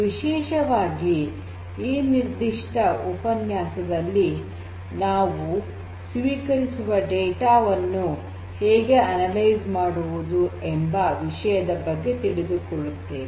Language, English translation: Kannada, Particularly, in this particular lecture we are going to focus on knowing some of the introductory concepts of how to analyze the data that is received